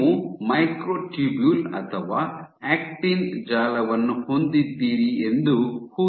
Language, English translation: Kannada, So, imagine you have this network of microtubules or actin